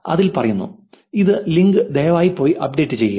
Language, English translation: Malayalam, Here is the link, please go and update